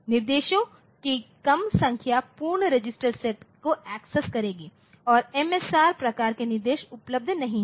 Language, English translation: Hindi, The reduced number of instructions will access the full register set MRS and MSR type of instructions are not available